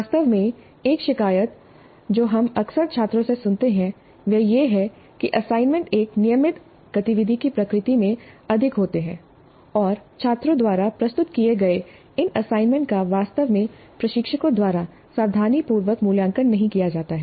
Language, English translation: Hindi, In fact, a complaint that we often hear from students is that the assignments are more in the nature of a routine activity and these assignments submitted by the students are not really evaluated carefully by the instructors